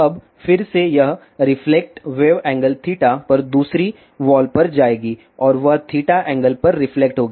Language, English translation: Hindi, Now, again this reflected wave will go to other wall at an angle theta and that will be reflected at an angle theta